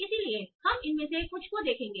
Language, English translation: Hindi, So we will see some of these